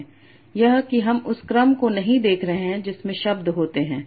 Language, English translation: Hindi, That is, I am not looking at the order in which the words occur